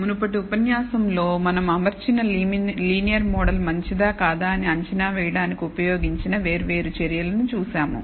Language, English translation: Telugu, In the previous lecture we saw different measures that we can use to assess whether the linear model that we have fitted is good or not